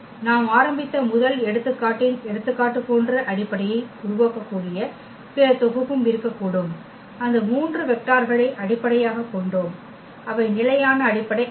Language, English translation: Tamil, There can be other set which can also form the basis like in the example of the first example which we started with we had those 3 vectors which form the basis and they were not the standard basis